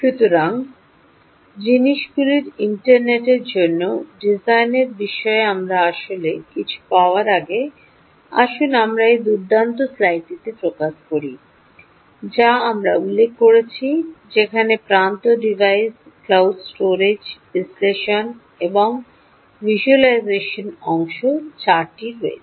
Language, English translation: Bengali, ok, so before we actually get into anything with respect to the design of design for the internet of things, ah, let us just focus on this nice slide that we mentioned, where there are four elements: the edge device, the cloud storage and analytics, analytics and the visualisation part